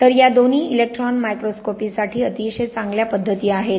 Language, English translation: Marathi, So, both of these are very good methods for electron microscopy